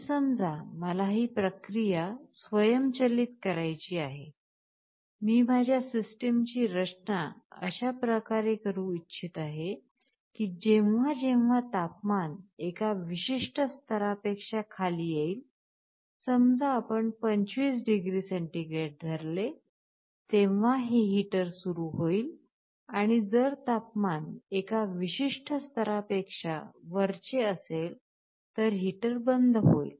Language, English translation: Marathi, But, suppose I want to automate this process, I want to design my system in such a way that whenever the temperature falls below a certain level, let us say 25 degree centigrade, I should turn on the heater, if it is above I should turn off